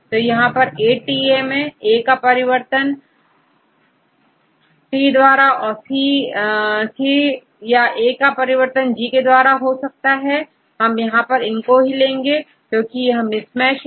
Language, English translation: Hindi, So, it is ATA is, A change to T or A change to C or A change to G, we take this one because we take only the mismatches